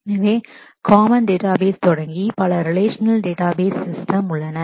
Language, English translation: Tamil, So, starting with the common databases, there are several relational database systems